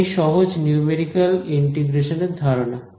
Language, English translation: Bengali, So, that is the idea behind simple numerical integration